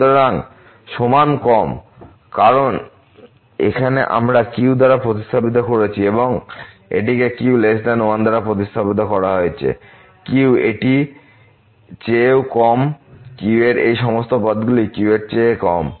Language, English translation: Bengali, So, less than equal to because here we have replace by and this one is also replace by though it is a less than 1 this is also less than all these terms are less than